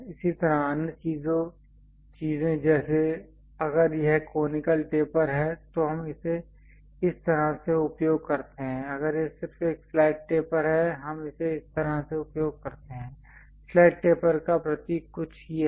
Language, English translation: Hindi, Similarly, other things like if it is conical taper, we use it in that way if it is just a flat taper we use it in this way, something like flat taper symbol is this